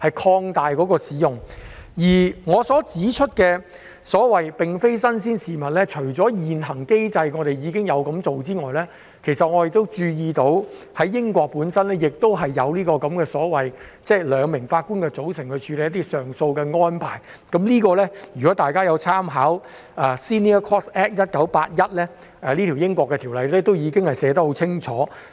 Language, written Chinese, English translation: Cantonese, 此外，我提出這安排"並非新鮮事物"，是因為除了現行機制已經有這樣做之外，我注意到，英國亦有這項兩名法官組成處理一些上訴案件的安排，大家可參考英國的 Senior Courts Act 1981， 該條例已經寫得很清楚。, Besides I say that this arrangement is not something new because apart from its application under the current mechanism I also notice that this 2 - Judge bench arrangement in dealing with appeal cases has also been practised in the United Kingdom . Members may read the Senior Courts Act 1981 which has clearly provided for this